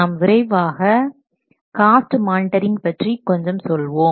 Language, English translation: Tamil, I will quickly say about the cost monitoring